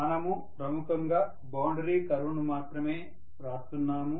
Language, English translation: Telugu, We are essentially writing only the boundary curve